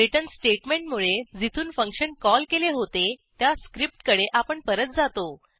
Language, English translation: Marathi, The return statement will return to the script from where it was called